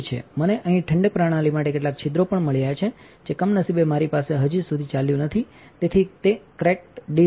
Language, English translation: Gujarati, I have also got some holes in here for a cooling system which unfortunately I did not have running yet that is hence the cracked disk